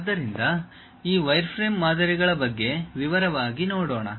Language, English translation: Kannada, So, let us look in detail about this wireframe models